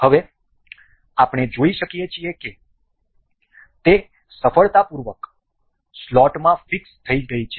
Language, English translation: Gujarati, Now, we can see it is successfully fixed into the slot